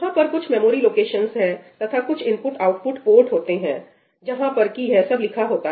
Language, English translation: Hindi, So, there is some memory location, and some IO port where all of this is being written